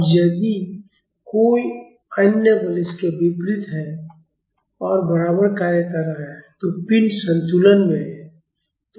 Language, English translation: Hindi, Now, if there is another forces acting opposite and equal to it, the body is an equilibrium